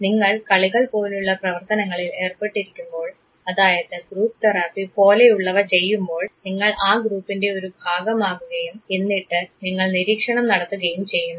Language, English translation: Malayalam, Such type of observations are important when you engage in something like say play activity like group therapy you become part of the group and then you observe it